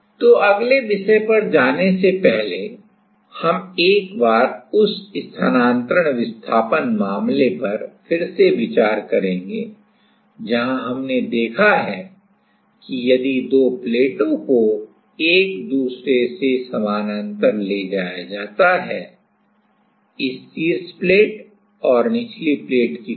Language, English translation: Hindi, So, before going to the next topic; we will revisit once that transfers displacement case where we have seen that if the two plates are moved parallel to each other like this top plate and a bottom plate